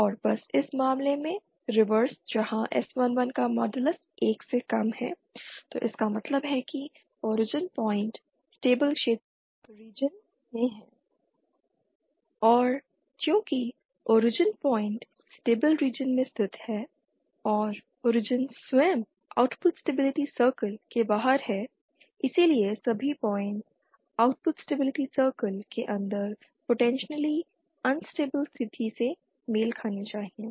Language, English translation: Hindi, And just the reverse in this case where modulus of s11 is lesser than 1 then it means the origin point is lies in the stable region and since origin point is lies in the stable region and the origin itself is outside the output stability circle hence all points inside the output stability circle must be must corresponds to potentially unstable state